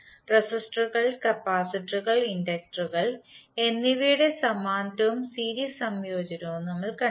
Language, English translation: Malayalam, So we saw the parallel and series combination of all the three resistors, capacitors and inductors